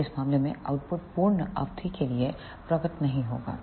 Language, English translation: Hindi, So, the output will not appear for that duration